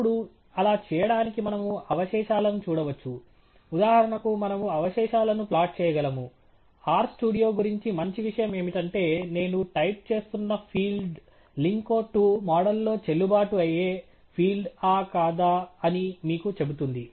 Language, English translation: Telugu, Now, to do that, we can look at the residuals; for example, we could plot the residuals; the nice thing about R studio is it tells you whether the field that I am typing is a valid field in the lin CO 2 model